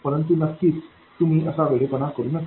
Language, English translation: Marathi, But of course you don't go crazy like that